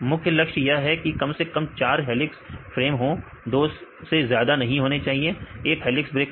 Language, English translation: Hindi, The main aim is there should be at least 4 helix farmers, should not more than 2 1 helix breaker right